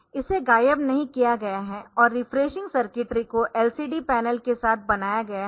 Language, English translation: Hindi, So, it is not vanished and the refreshing circuitry is built in with the LCD panel